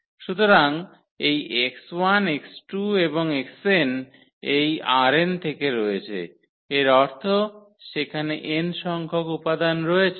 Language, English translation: Bengali, So, x 1 x 2 and x is from R n that means it has n components; so, x 1 x 2 x 3 x n